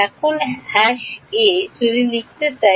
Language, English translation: Bengali, Now #a, if I want to write